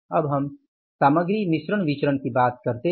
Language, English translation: Hindi, Now we talk about the material mix variance